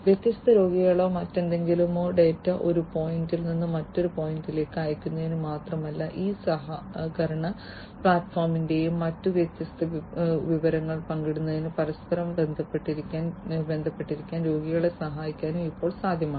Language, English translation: Malayalam, And it is now possible not only to send the data of different patients or whatever from one point to another, but also to help the patients to stay interconnected with one another to share the different information over this collaborative platform and so on